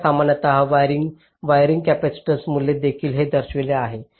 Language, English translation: Marathi, now typically wiring capacitance values are also shown here